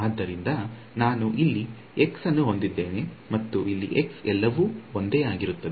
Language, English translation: Kannada, So, I have x over here x over here everything else is same